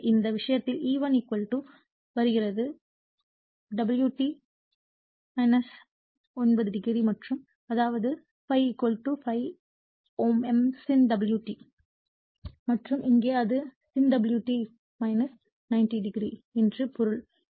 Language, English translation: Tamil, So, in this case that E1 = is coming omega t minus 90 degree and; that means, ∅ = ∅ m sin omega t and here it is sin omega t minus 90 degree that means so, I am clearing it right